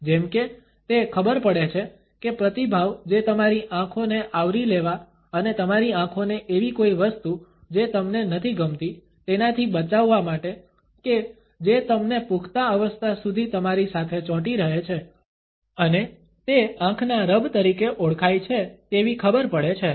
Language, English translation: Gujarati, Well, as it turns out that responds that ingrained response to cover and shield your eyes from something that you do not like sticks with you all the way through to adulthood and it comes out and something known as the eye rub